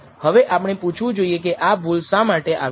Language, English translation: Gujarati, Now we have to ask this question what is this error due to